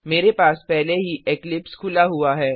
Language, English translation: Hindi, I already have Eclipse opened